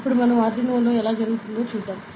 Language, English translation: Telugu, Now we will switch to the showing how it happens in Arduino